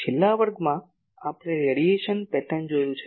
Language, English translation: Gujarati, In last class we have seen the radiation pattern